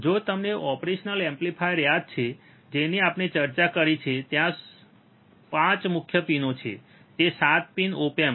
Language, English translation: Gujarati, So, if you remember the operation amplifier we have discussed, there are 5 main pins of course, there 7 pin op amp